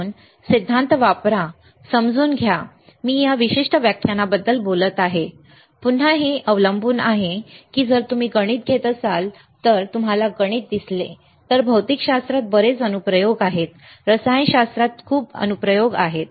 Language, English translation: Marathi, So, use theory understand theory, I am talking about this particular lecture, again, right it depends on if you if you take a mathematics, right, again if you see mathematics also there is a lot of application of mathematics lot of application of physics lot of application of chemistry, right